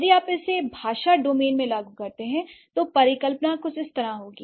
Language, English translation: Hindi, If you apply it in the language domain, the hypothesis would be something like this